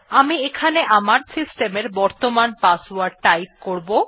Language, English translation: Bengali, Here I would be typing my systems current password